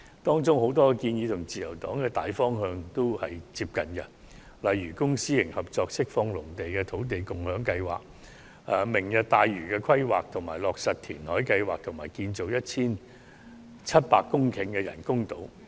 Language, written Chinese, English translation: Cantonese, 當中有很多建議均與自由黨的大方向接近，例如公私營合作釋放農地的土地共享先導計劃、"明日大嶼"的規劃、落實填海計劃，以及建造面積達 1,700 公頃的人工島。, Many of the proposal are consistent with the general direction of the Liberal Party such as the introduction of the Land Sharing Pilot Scheme to release agricultural land with the cooperation of the public and private sectors the planning of Lantau Tomorrow the implementation of reclamation projects and the construction of artificial islands with a total area of about 1 700 hectares